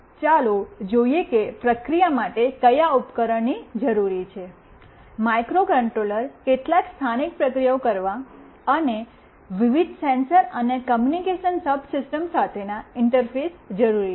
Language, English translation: Gujarati, Let us see what all devices are required for the processing; microcontroller is required for carrying out some local processing, and interface with the various sensors and the communication subsystem